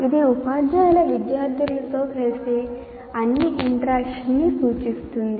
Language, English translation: Telugu, It refers to all the interactions teachers have with the students